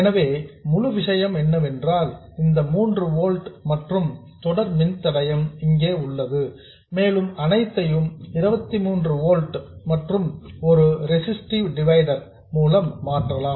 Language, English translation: Tamil, So, this entire thing, this 3 volt plus the series resistance, that's the same thing we have here and the whole thing can be replaced by this 23 volts and a resistive divider